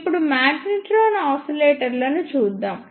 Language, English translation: Telugu, Now, move on to the magnetron oscillators